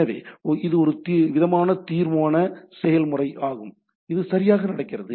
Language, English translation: Tamil, So, it is some sort of a resolution process which is going on right